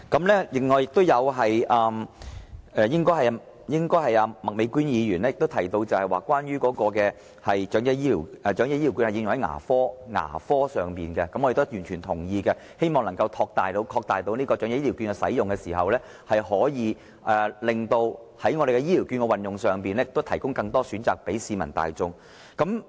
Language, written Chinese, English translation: Cantonese, 另外，應該是麥美娟議員提及關於長者醫療券應可用在牙科上，我們亦完全同意，希望擴大長者醫療券的使用，可以令醫療券在運用上提供更多選擇給市民大眾。, Furthermore it should be Ms Alice MAK who has mentioned the proposed use of elderly health care vouchers on dental care service to which we also agree . We hope that the application of elderly health care vouchers can be extended so that the public can be given more choices when using these vouchers